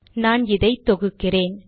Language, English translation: Tamil, Now let me compile this